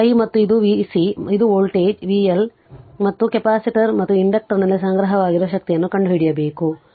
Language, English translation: Kannada, This is i and this is v C and this is your voltage your what you call and your v L right and energy stored in the capacitor and inductor this we have to find out